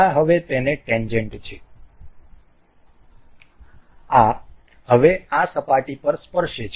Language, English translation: Gujarati, This is now tangent to this, this is now tangent to this surface